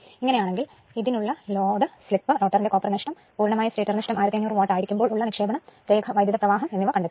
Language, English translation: Malayalam, Calculate for this load, the slip, the rotor copper loss, the you are the input if the stator losses total is 1500 watt the line current right, this you have to make it